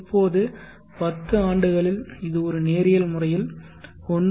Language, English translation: Tamil, Now in 10 years you will see this is going in a linear fashion 1